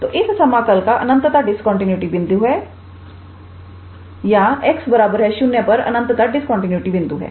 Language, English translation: Hindi, So, this integral has an infinite point of discontinuity or has a point of infinite discontinuity at x equals to 0